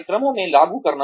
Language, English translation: Hindi, Implementing the programs